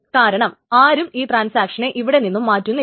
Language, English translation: Malayalam, So nobody preempts another transaction